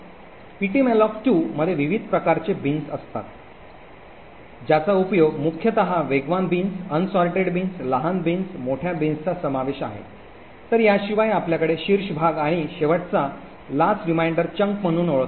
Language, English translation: Marathi, In ptmalloc2 there are different types of bins that are used, most notably are the fast bins, unsorted bins, small bins, large bins, so besides this we have something known as the top chunk and the last remainder chunk